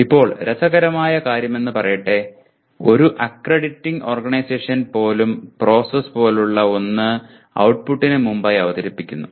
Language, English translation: Malayalam, Now interestingly even an accrediting organization put something like the process before the output